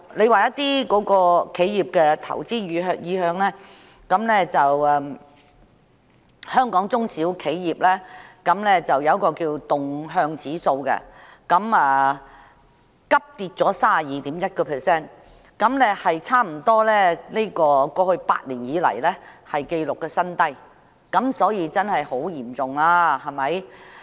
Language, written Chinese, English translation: Cantonese, 另外，有關企業的投資意向方面，香港中小型企業動向指數急跌至 32.1， 差不多是過去8年以來的紀錄新低，可見情況真的很嚴重。, What is more in regard to the investment sentiment of enterprises the diffusion index on small and medium enterprises in Hong Kong has registered a sharp decline to 32.1 which is almost a record low in the past eight years . We can see that the situation is extremely critical indeed